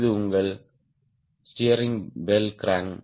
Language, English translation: Tamil, this is your steering bell crank